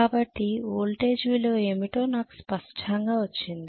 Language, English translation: Telugu, So I have got clearly what is the value of the voltage